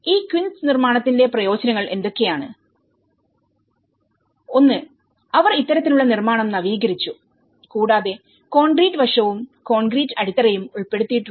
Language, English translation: Malayalam, And what are the benefits of this quince constructions; one is they have upgraded this type of construction also embedded the concrete aspect and the concrete foundations